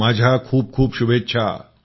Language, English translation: Marathi, My very best wishes